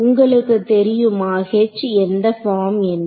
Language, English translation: Tamil, Now H you know is of what form